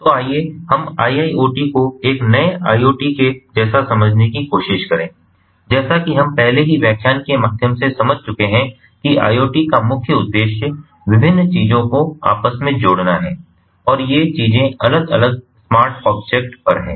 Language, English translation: Hindi, so let us try to understand iiot vis a vis ah iot, as we have already understood through the previous previous lectures that the main aim of iot is to interconnect different things, and these things are different objects on the smart objects